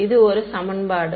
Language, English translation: Tamil, This is one equation